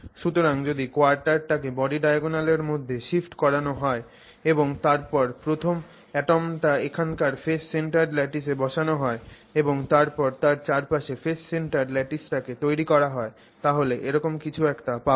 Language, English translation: Bengali, So, if you shift quarter, quarter, quarter into that body diagonal and then place the first atom of the next phase centered lattice somewhere here and then build the face centered lattice around it then what you will get is something like this